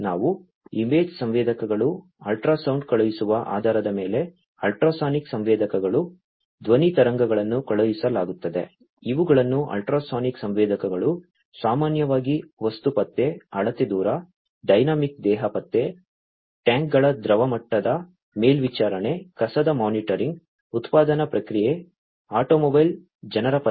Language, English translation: Kannada, The we could also have other types of sensors like image sensors, ultrasonic sensors like you know, based on sending ultrasound, sound waves are sent these are ultrasonic sensors are also commonly used for object detection, measuring distance, dynamic body detection, liquid level monitoring of tanks, trash monitoring, manufacturing process, automobile, people detection, etcetera